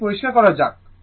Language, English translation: Bengali, Let me clear